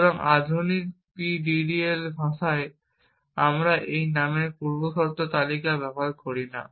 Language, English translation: Bengali, So, in the modern PDDL language we do not use this name precondition list, add list and delete list